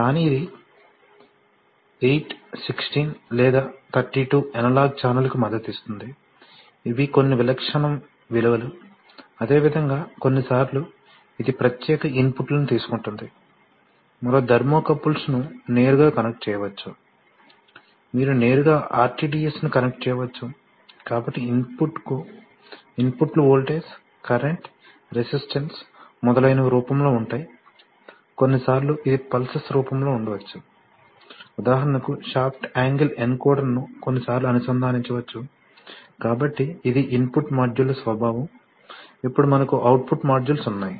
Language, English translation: Telugu, But it will support 8 16 or 32 analog channel, these are just some typical values, similarly sometimes it takes special inputs like, you can connect, directly connect thermocouples, you can directly connect RTDS, so inputs can be in the form of voltage, current, resistance, etcetera sometimes it can be in the form of pulses, for example a shaft angle encoder can be sometimes connected, so this is the nature of input modules, then we have output modules